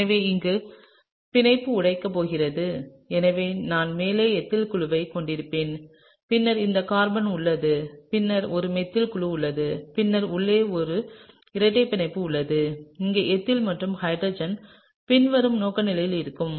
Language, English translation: Tamil, So, here is the bond that is going to break and so, I will have the ethyl group on top and then, there is this carbon and then there is a methyl group, right and then, there is a double bond inside and here the ethyl and hydrogen going to be in the following orientation, okay